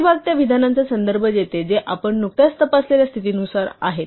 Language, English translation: Marathi, The body refers to those statements which are governed by the condition that we have just checked